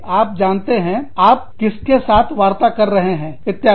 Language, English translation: Hindi, You know, who are you, negotiating with, etcetera